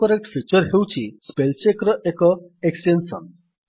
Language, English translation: Odia, The AutoCorrect feature is an extension of Spellcheck